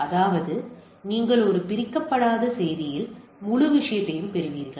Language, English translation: Tamil, That means you get the whole thing in a one unfragmented message